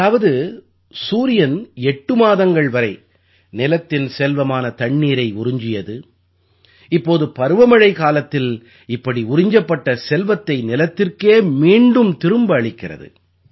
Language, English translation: Tamil, That is, the Sun has exploited the earth's wealth in the form of water for eight months, now in the monsoon season, the Sun is returning this accumulated wealth to the earth